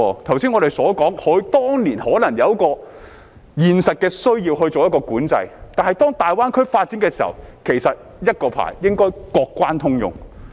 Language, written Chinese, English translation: Cantonese, 剛才我們說，當年可能有現實的需要作管制，但當大灣區發展時，其實一個牌照應該各關通用。, As we said earlier there might be a practical need for control back then but when the Greater Bay Area develops actually one licence should be valid for all boundary crossings